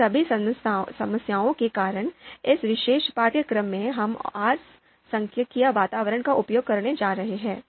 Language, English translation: Hindi, So because of all these problems in this particular course, we are going to use R statistical environment